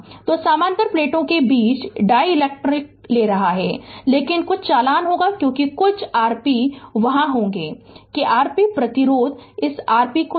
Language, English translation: Hindi, So, you are because dielectric we are taking in between the parallel plates, but some conduction will be there because of that some R p will be there right that R p resistance we take right this R p